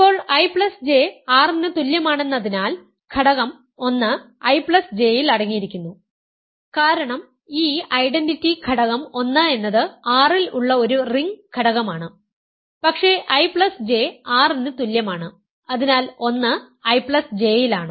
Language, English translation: Malayalam, So, now since I plus J is equal to R, the element 1 belongs to I plus J right because the element the identity element 1 is a ring element it is in R, but I plus J is equal to R, so 1 is in I plus J